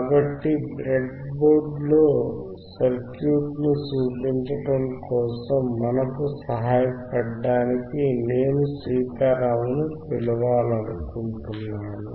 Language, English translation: Telugu, So, I would will I will like to call Sitaram to help us show the circuit on the breadboard